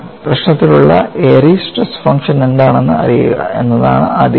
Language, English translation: Malayalam, The first step is to know, what is the Airy's stress function for the problem